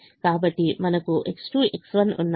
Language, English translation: Telugu, so you have x two x one